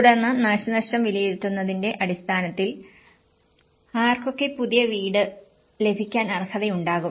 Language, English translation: Malayalam, And then based upon the damage assessment, who will be eligible to get a new house